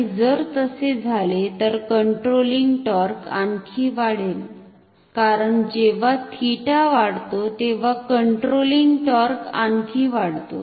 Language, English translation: Marathi, And if that happens then the controlling torque will increase further, because when theta increases controlling torque increases further, deflecting torque is same